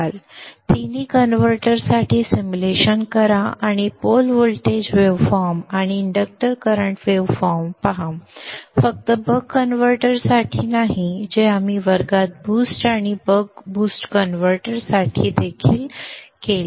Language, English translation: Marathi, Do the simulation of all the three converters and look at the pole voltage waveform and the inductor current waveform not only for the buck converter which we did in the class even for the boost and the buck boost converter